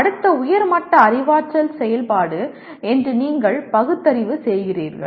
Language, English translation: Tamil, You rationalize that is next higher level cognitive activity